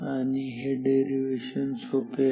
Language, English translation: Marathi, So, the derivation is very simple ok